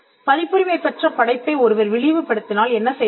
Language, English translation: Tamil, What would happen if there is derogatory treatment of a copyrighted work